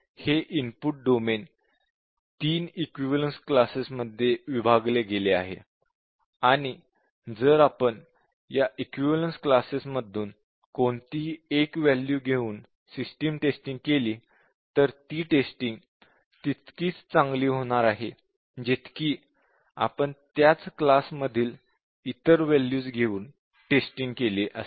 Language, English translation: Marathi, So, this input domain is partitioned into 3 equivalence classes and the main premise is that, if we take any one value from this equivalence class that should test the system as good as any other value taken from the same class